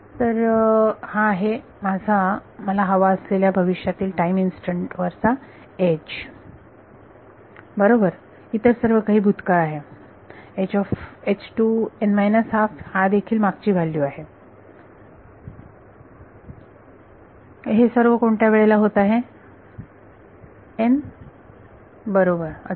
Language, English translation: Marathi, So, this is my H at future time that I want right, everything else is past H n minus half is past these are all happening at what n right correct